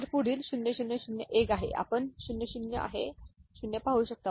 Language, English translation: Marathi, So, next one is 0 0 0 1, you can see 0 0 is 0